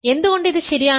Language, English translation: Malayalam, Why is that